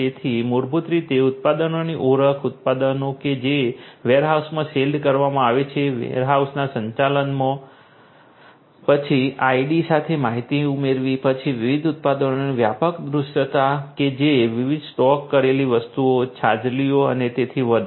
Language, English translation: Gujarati, So, basically identification of the products; products that are shelved in the warehouses in the management of the warehouses, then adding information along with the ID, then having comprehensive visibility of the different products that different stocked items, shelved items and so on